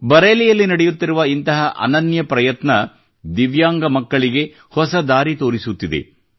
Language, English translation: Kannada, This unique effort in Bareilly is showing a new path to the Divyang children